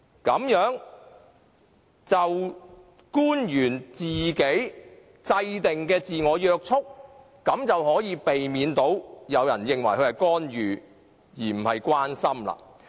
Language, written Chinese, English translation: Cantonese, 官員這樣制訂自我約束的條件，便可避免被人認為他們是干預，而非關心。, If officials can lay down the conditions for self - restraint they will not be regarded as interfering instead of showing concern